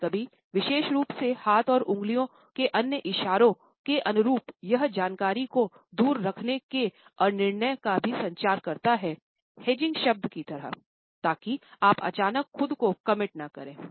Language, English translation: Hindi, Sometimes, particularly in consonance with other gestures of hand and fingers, it also communicates indecision withholding of information away of hedging words, so that you do not commit yourself suddenly